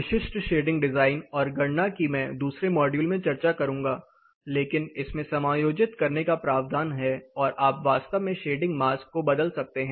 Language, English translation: Hindi, Specific shading design and calculation I will cover in another module, but this has a provision to adjust and you can actually move the shading mask